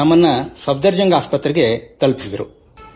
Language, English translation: Kannada, We went to Safdarjung Hospital, Delhi